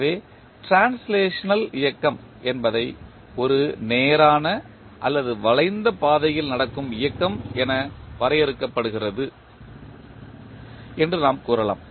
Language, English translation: Tamil, So, the translational motion, we can say that the motion of translational is defined as the motion that takes place along a straight or curved path